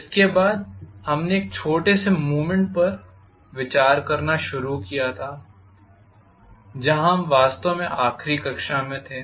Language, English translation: Hindi, After this we started considering a small movement that is where we left off, actually in the last class